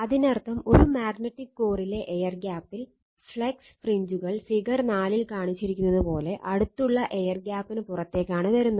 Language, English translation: Malayalam, So that means, at an air gap in a magnetic core right, the flux fringes is out into neighbouring area your sorry neighbouring air paths as shown in figure 4